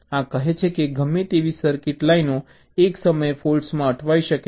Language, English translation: Gujarati, this says that any number of circuits, lines, can have such stuck at faults at a time